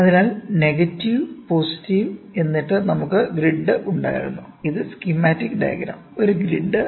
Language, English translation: Malayalam, So, negative we had positive and then we had something called grid; this is schematic diagram, a grid